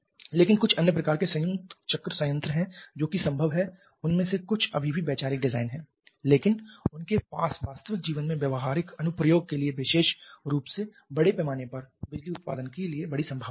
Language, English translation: Hindi, But there are a few other kinds of combined cycle plants which are also possible some of them are still conceptual design but they have huge potential for real life practical application particularly for large scale power generation